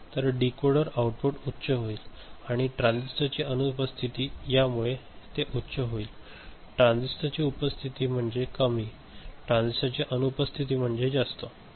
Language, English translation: Marathi, So, decoder output becomes high and absence of transistor will make it high; presence of transistor low, absence of transistor is high